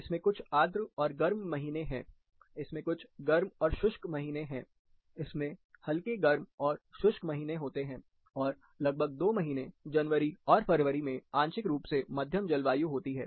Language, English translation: Hindi, It has a few humid and hot months, it has a few hot and dry months, it has warm and dry months, it has a partly moderate climate in about two months, January, February